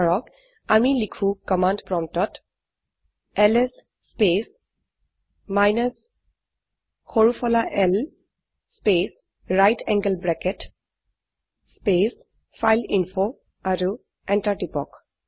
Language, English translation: Assamese, Say we write ls space minus small l space right angle bracket space fileinfo and press enter